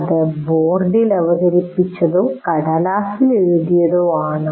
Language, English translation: Malayalam, That is something is presented on the board or something is written on a piece of paper